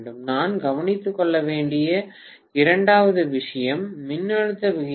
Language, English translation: Tamil, right Second thing that I had to take care of is voltage ratios